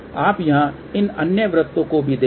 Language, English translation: Hindi, You see also these other circles here